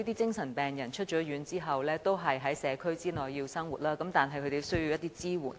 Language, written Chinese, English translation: Cantonese, 精神病人出院後，要在社區生活，他們因而需要一些支援。, After a psychiatric patient is discharged from hospital he or she will have to live in the community and so they need some support